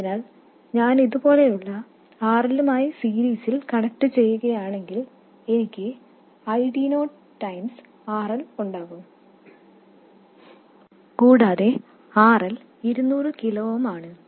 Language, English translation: Malayalam, So, if I do connect it in series with RL like this, I will have ID0 times RL and RL is 100 kiloms